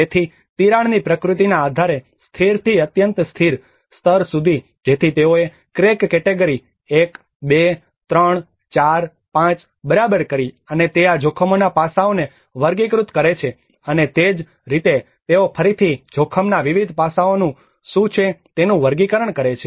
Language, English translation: Gujarati, \ \ So, depending on the nature of the crack and from the stable to the most unstable level, so that is how they leveled crack category 1, 2, 3, 4, 5 and that is where they classified and categorize these risk aspects and similarly this is again, they again categorize with what are the different aspects of the risk